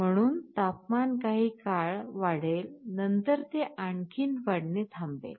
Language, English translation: Marathi, So, temperature will still increase for some time then it will stop increasing any further